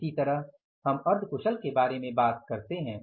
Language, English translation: Hindi, Similarly we talk about the semi skilled